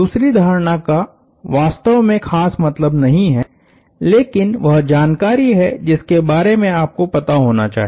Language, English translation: Hindi, The second assumption is really not mean it, but information you need to be aware of